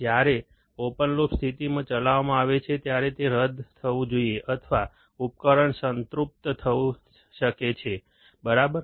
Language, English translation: Gujarati, When operated in an open loop condition, it must be nulled or the device may get saturated, right